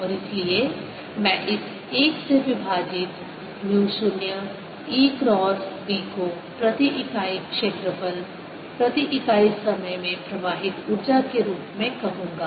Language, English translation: Hindi, and therefore i'll call this one over mu, zero e cross b as the energy flowing per unit area, per unit time